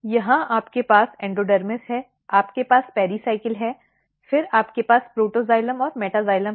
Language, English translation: Hindi, Here you have endodermis, you have Pericycle, then you have Protoxylem and Metaxylem